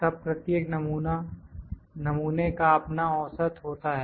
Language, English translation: Hindi, Then each sample has its own mean